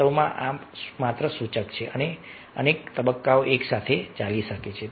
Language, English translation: Gujarati, in reality, several stages may go on simultaneously